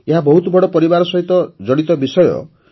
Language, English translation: Odia, This is a topic related to very big families